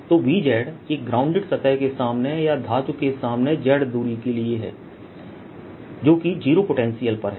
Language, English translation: Hindi, so v, z, add a distance, z, in front of a grounded surface or in front of a metal which has, at which is at zero potential